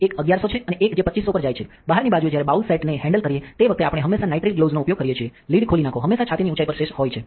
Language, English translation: Gujarati, We have two different hot plates we have one that goes to 110 degrees and one that goes to 250 degrees, when handling the bowl set we always use nitrile gloves on the outside, take off the lid always have have the sash at chest height